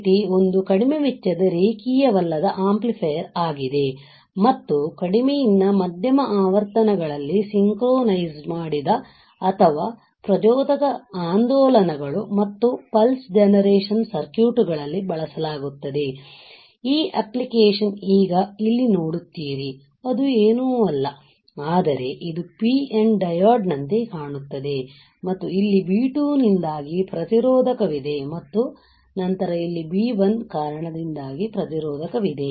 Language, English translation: Kannada, So, UJT is a non linear amplifier it is a low cost and used in free running oscillators synchronized or trigger oscillators and pulse generation circuits at low to moderate frequencies this application now you see here it is nothing, but it looks like a PN diode right and then there is a resistor due to the B 2 here and then the resistor due to B 1 which is here, right